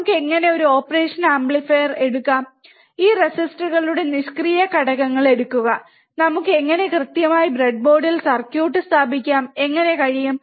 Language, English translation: Malayalam, How can we actually take a operational amplifier take this resistors passive components, and how exactly we can we can place the circuit on the breadboard, and how we can check the circuit